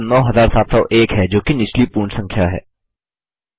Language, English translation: Hindi, The result is now 9701 which is the lower whole number